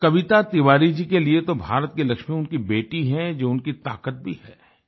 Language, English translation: Hindi, For Kavita Tiwari, her daughter is the Lakshmi of India, her strength